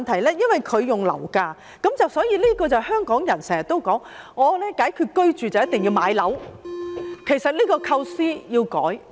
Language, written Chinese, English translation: Cantonese, 田議員提到樓價，這就如香港人經常說解決居住問題就一定要買樓，其實這個構思要改變。, Mr TIEN mentioned property prices just like other Hong Kong people who often say that the solution to the housing problem is that one must buy a flat . In fact this concept has to be changed